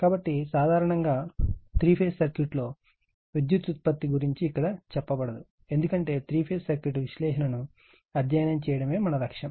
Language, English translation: Telugu, So, generally power generation in three phase circuit nothing will be told here just giving you some flavor, because our objective is to study the three phase circuit analysis